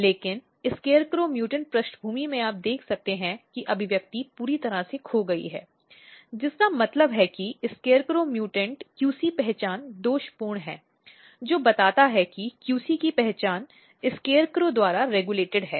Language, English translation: Hindi, But in scarecrow mutant background you can see that the expression is totally lost, which means that in the scarecrow mutant QC identity is defective, which tells that the identity of QC is regulated by SCARECROW